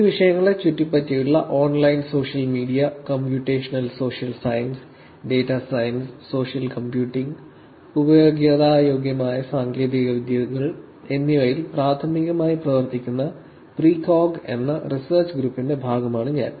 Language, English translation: Malayalam, I am also a part of Research Group called Precog, which primarily works on privacy and security in online social media, computational social science, data science, social computing and usable technologies which are around these topics